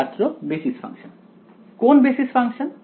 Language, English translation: Bengali, Basis function Which basis function